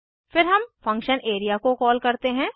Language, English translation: Hindi, Then we call function area